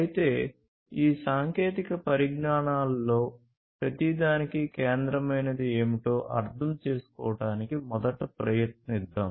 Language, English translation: Telugu, However, let us first try to understand, what is central to each of these technologies